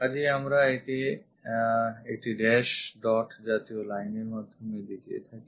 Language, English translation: Bengali, So, we show it by a dash dot kind of line